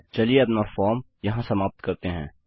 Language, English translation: Hindi, Lets end our form here